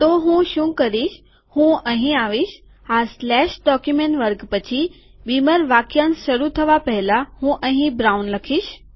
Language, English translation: Gujarati, So what I will do is, ill come here, after this slash document class before the beamer phrase starts I will write here brown